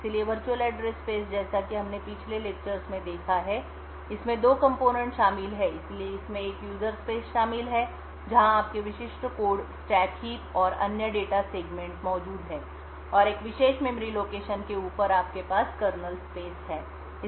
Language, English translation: Hindi, So the virtual address space as we have seen in the previous lectures comprises of two components, so it comprises of a user space where your typical code stack heap and other data segments are present and above a particular memory location you have the kernel space